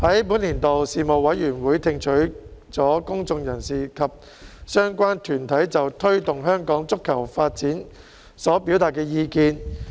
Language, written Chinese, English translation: Cantonese, 本年度事務委員會聽取了公眾人士及相關團體就推動香港足球發展所表達的意見。, In the current session the Panel received views from the public as well as relevant groups on initiatives to promote football development in Hong Kong